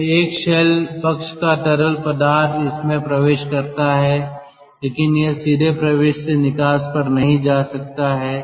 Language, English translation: Hindi, so a shell side fluid it enters, but it cannot directly go to the outlet from the inlet